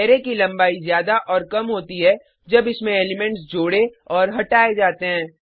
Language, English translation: Hindi, Array length expands/shrinks as and when elements are added/removed from it